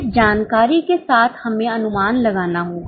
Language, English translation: Hindi, With this information we have to make projections